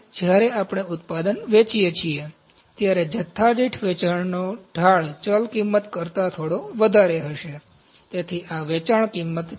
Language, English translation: Gujarati, When we sell the product, the slope of selling per quantity would be little higher than the variable cost is something like this, so this is selling price